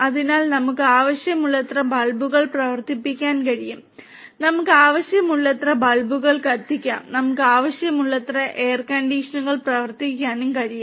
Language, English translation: Malayalam, So, we can run as many bulbs that we want, we can light as many bulbs that we want, we can run as many air conditioners that we want and so on